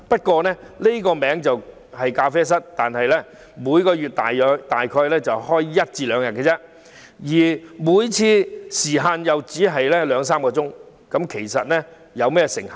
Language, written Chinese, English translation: Cantonese, 雖然名為咖啡室，但其實每月只營業約一兩天，而每次營業時間亦只得兩三小時，大家可以想象成效如何。, Regardless that they are called cafés they are actually open for only one or two days a month and just two to three hours each day . One can imagine the effectiveness of the scheme